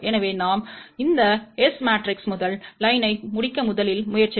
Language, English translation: Tamil, So, let us first try to complete the first row of this S matrix